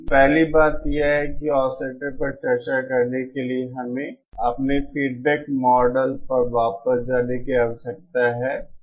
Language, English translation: Hindi, So the first thing is to discuss about oscillators, we need to go back to our feedback model